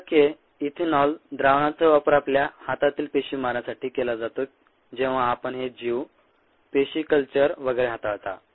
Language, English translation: Marathi, seventy percent ethanol solution is used to kill cells on your hands when you ah, when you handle these ah organisms, cell cultures and so on